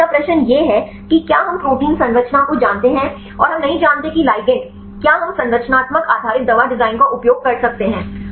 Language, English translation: Hindi, Now, the second question is if we know the protein structure, and we do not know the ligand can we use structural based drug design